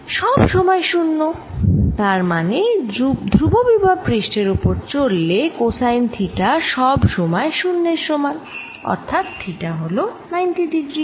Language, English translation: Bengali, if you moving along the constant potential surface, that means cosine theta is equal to zero or theta is equal to ninety degrees